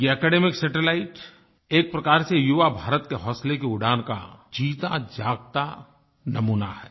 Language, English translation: Hindi, In a way, this academic satellite is a living example of the soaring flight of courage and ambition of the young India